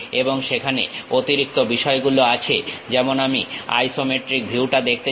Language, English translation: Bengali, And there will be additional things like, I would like to see isometric view